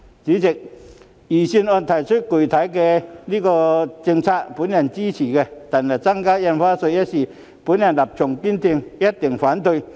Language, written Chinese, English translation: Cantonese, 主席，我支持預算案提出的具體財政政策，但對於增加印花稅一事，我立場堅定，必定反對到底。, President while I support the specific fiscal policies proposed in the Budget I have a resolute stance on the increase in stamp duty and will certainly oppose it all the way